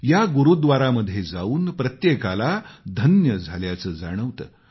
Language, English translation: Marathi, Everyone feels blessed on visiting this Gurudwara